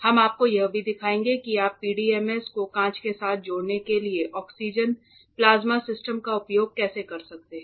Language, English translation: Hindi, We will be also showing it to you how can you use oxygen plasma system for bonding PDMS with glass all right